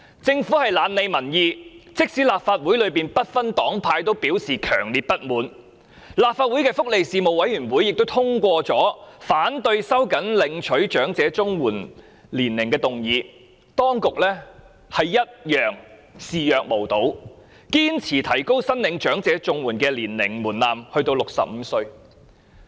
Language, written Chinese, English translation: Cantonese, 政府懶理民意，即使立法會內不同黨派都表示強烈不滿，立法會福利事務委員會亦通過了反對收緊申領長者綜合社會保障援助年齡的議案，當局仍然視若無睹，堅持提高申領長者綜援的年齡門檻至65歲。, The Government does not care about public opinion . Despite the strong dissatisfaction from various parties in the Legislation Council and the passage of the motion by the Panel on Welfare Services in opposition to tightening of the eligible age for elderly Comprehensive Social Security Assistance CSSA the Administration turned a deaf ear to it and insisted on raising the eligible age to 65